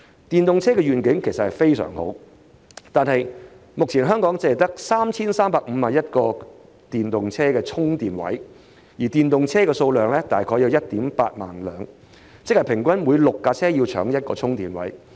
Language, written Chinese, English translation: Cantonese, 電動車的願景其實相當好，但目前香港只有 3,351 個電動車充電位，電動車數量卻大約為 18,000 輛，即平均每6輛車爭用1個充電位。, While the development of EVs is actually an excellent vision there are currently only 3 351 EV charging spaces across the territory but the number of EVs is about 18 000 . In other words six EVs have to share one charging space on average